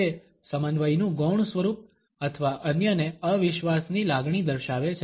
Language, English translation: Gujarati, It shows a passive form of synthesis or a sense of disbelieving others